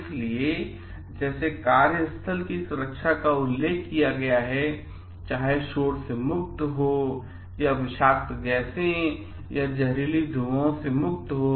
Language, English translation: Hindi, So, like whether workplace safety is mentioned, whether there free of noise, then toxic gases are there or not toxic fumes